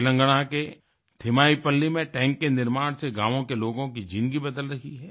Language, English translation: Hindi, The construction of the watertank in Telangana'sThimmaipalli is changing the lives of the people of the village